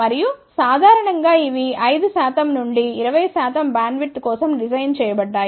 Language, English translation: Telugu, And, generally these are designed for 5 percent to 20 percent bandwidth